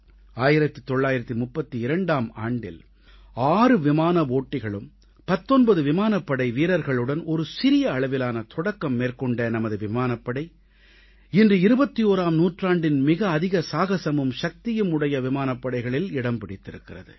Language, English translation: Tamil, Making a humble beginning in 1932 with six pilots and 19 Airmen, our Air Force has emerged as one of mightiest and the bravest Air Force of the 21st century today